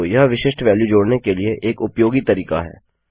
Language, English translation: Hindi, So yes, this is quite useful way of adding a specific value here